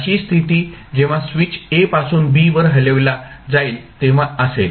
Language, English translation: Marathi, This would be the condition when switch is thrown from a to b